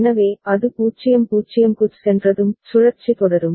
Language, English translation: Tamil, So, once it goes to 0 0, the cycle will continue